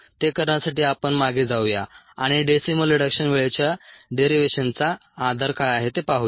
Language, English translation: Marathi, let us go back and look at the basis for the derivation of ah decimal reduction time